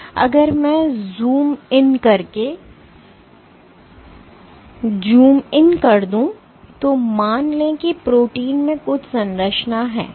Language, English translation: Hindi, So, if I zoom in let us assume that the protein has some structure like this